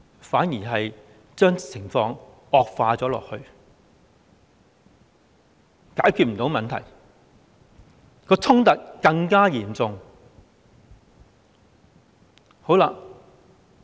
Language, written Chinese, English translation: Cantonese, 反而令情況惡化，無法解決問題，衝突更加嚴重。, It made the situation worse instead of better . It has not just failed to solve the problem but even aggravated the conflicts